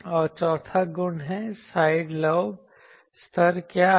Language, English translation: Hindi, And the 4th property is; what is the side lobe level